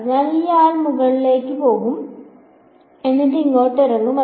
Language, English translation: Malayalam, So, this guy is going to go up and then come down over here